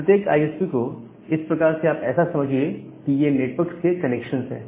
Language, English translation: Hindi, So, all this individual ISPs are like that connections of networks